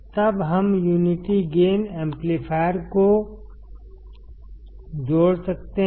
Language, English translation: Hindi, Then we can connect the unity gain amplifier